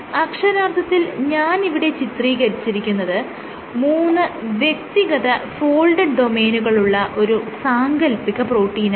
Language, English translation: Malayalam, So, what I have drawn is the imaginary protein which has three folded domains